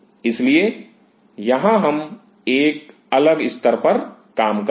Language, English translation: Hindi, So, here we will be dealing at deferent level